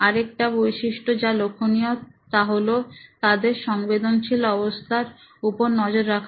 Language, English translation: Bengali, Another element to notice is their emotional status